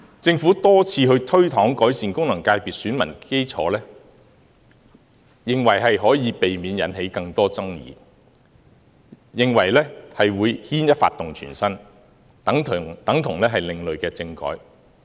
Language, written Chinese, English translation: Cantonese, 政府多次推搪改善功能界別的選民基礎，認為這樣可以避免引起更多爭議，亦怕牽一髮動全身，等同另類政改。, The Government has made excuses on many occasions for not broadening the electoral bases of FCs thinking that it will avoid creating more controversies . Besides the Government is also worried that a small change will produce significant implications similar to those of a constitutional reform